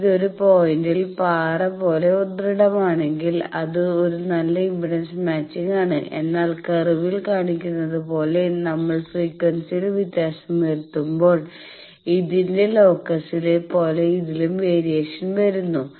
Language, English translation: Malayalam, It is rock solid at a point then it is a good impedance match, but as the curve shows that there is generally a variation of like that a locus of this as we vary the frequency